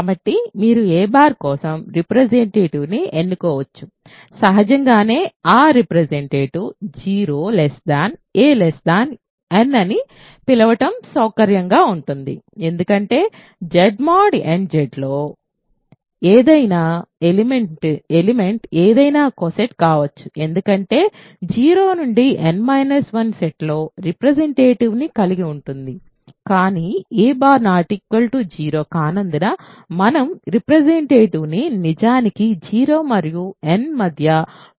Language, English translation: Telugu, So, you can choose a representative for a bar say; obviously, it is convenient to call that representative a such that 0 is less than a less than n because any element can be any co set in Z mod nZ has a representative in the set 0 to n minus 1, but because a bar is not 0 we can choose the representative to be actually a positive number between 0 and n ok